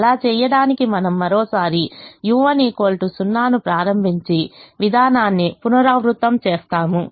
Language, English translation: Telugu, to do that, we once again initialize u one equal to zero and repeat the procedure